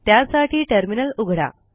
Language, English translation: Marathi, First we open a terminal